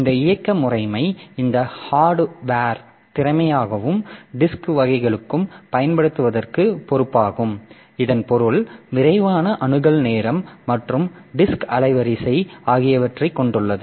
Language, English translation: Tamil, So, this operating system it is responsible for using this hardware efficiently and for the disk drives this means having a fast access time and disk bandwidth